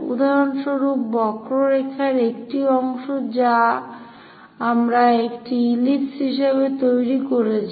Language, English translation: Bengali, For example, part of the curve we have constructed as an ellipse